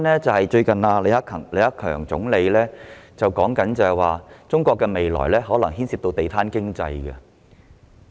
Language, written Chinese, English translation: Cantonese, 最近，李克強總理表示中國的未來發展可能牽涉"地攤經濟"。, Not long ago Premier LI Keqiang said that the future development of China might involve a street vendor economy